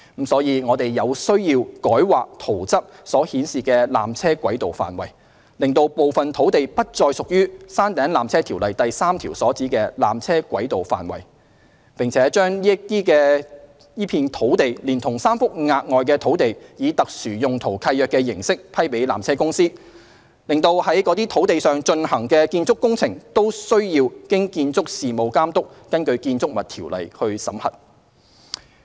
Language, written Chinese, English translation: Cantonese, 因此，我們有需要改劃"圖則"所示的纜車軌道範圍，使部分土地不再屬《條例》第3條所指的纜車軌道範圍，並把該片土地連同3幅額外土地以特殊用途契約的形式批予纜車公司，使在該等土地上進行的建築工程均須經建築事務監督根據《建築物條例》審核。, Therefore it is necessary to de - designate a portion of the tramway area from the Plan as defined under section 3 of PTO and grant this de - designated piece of land together with the three pieces of additional land to PTC by SPL so that the building works to be carried out on the land would be subject to BAs scrutiny under BO